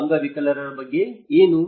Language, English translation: Kannada, What about the disabled people